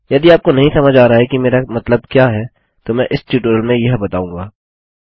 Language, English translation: Hindi, If you dont know what i mean Ill be going through it in this tutorial